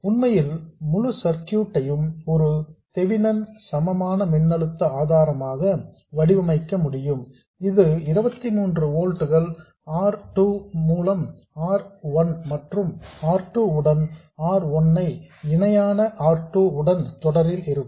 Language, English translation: Tamil, In fact, the entire circuit can be modeled exactly as a feminine equivalent voltage source which is 23 volts R2 by R1 plus R2 in series with R1 parallel R2